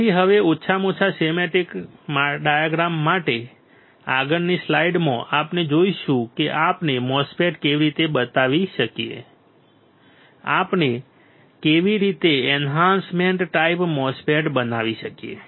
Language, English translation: Gujarati, So, for at least schematic diagram now, in the next slide what we will see is how we can fabricate a MOSFET, how we can fabricate an enhancement type MOSFET ok